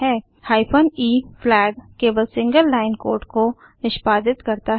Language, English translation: Hindi, The hyphen e flag allows only a single line of code to be executed